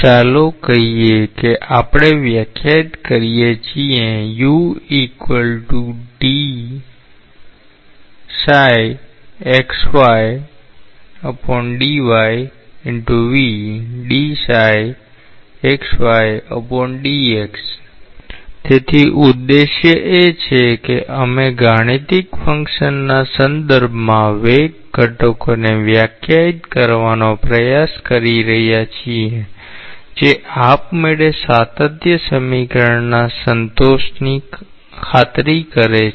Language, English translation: Gujarati, This special case automatically; so the objective is that we are trying to define the velocity components in terms of mathematical function which ensures the satisfaction of continuity equation automatically